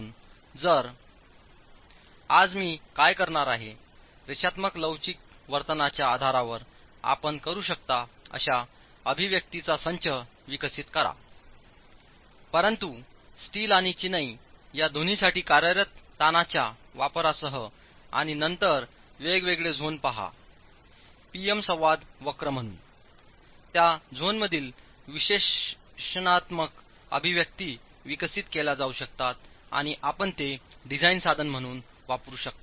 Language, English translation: Marathi, So what I'm going to be doing today is develop the set of expressions that you can use based on the linear elastic behavior but with the use of the working stresses for both steel and the masonry and then look at the different zones of the PM infraction curve so that analytical expressions in those zones can be developed and you can use that as a design tool